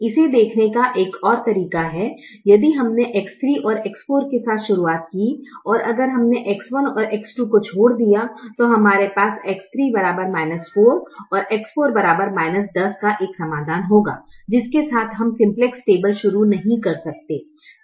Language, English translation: Hindi, another way of looking at it is if we started with x three and x four and if we left out x one and x two, we would have a solution x three equal to minus four, x four equal to minus ten, with which we cannot start the simplex table